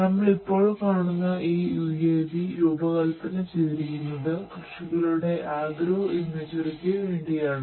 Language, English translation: Malayalam, This UAV we use for agro imagery taking images of agricultural field